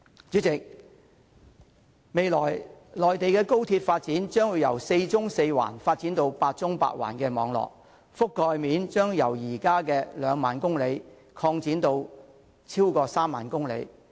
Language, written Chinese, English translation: Cantonese, 主席，未來內地高鐵發展將會由四縱四橫發展至八縱八橫的網絡，覆蓋面將由現時的2萬公里擴展至超過3萬公里。, President the trunk routes of the Mainland high - speed rail network will be expanded from four vertical and four horizontal to eight vertical eight horizontal and the length covered will be extended from the current 20 000 km to more than 30 000 km in the future